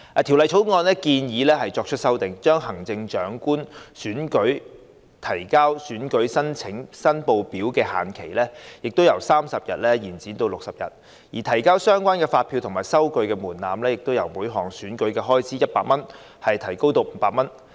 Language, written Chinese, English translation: Cantonese, 《條例草案》建議作出修訂，將行政長官選舉提交選舉申報書的限期由30天延長至60天，而提交相關發票及收據的門檻，由每項選舉開支100元提高至500元。, Under the Bill it is proposed that the deadline for submitting election returns for the Chief Executive election be extended from 30 days to 60 days and the threshold for submission of invoice and receipt of each election expense be raised from 100 to 500